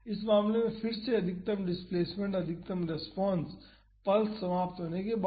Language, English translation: Hindi, Again in this case the maximum displacement, the maximum response happens after the pulse ends